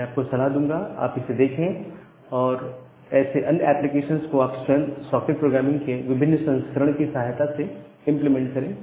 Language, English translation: Hindi, So, I will suggest you to look into that and implement multiple such applications on your own with the help of this different variance of socket programming